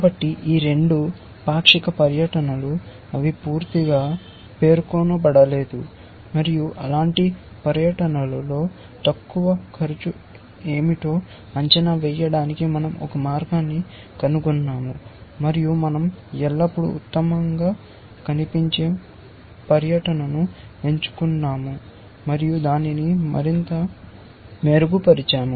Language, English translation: Telugu, So, this was a partial tour, both these are partial tours, they are not fully specified and we had figured out a way to evaluate what is the lower bound cost on those tours, and we always picked up best looking tour and refined it further essentially